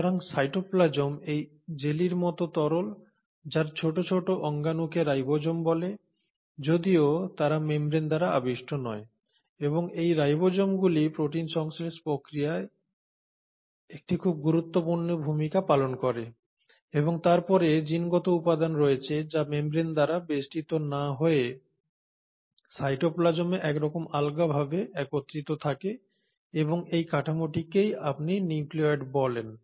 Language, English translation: Bengali, So the cytoplasm is like this jellylike fluid which has the small tiny organelles called ribosomes though they are not membrane bound and these ribosomes play a very important role in the process of protein synthesis and then you have the genetic material which is kind of aggregated loosely in the cytoplasm not surrounded by a membrane and this structure is what you call as the nucleoid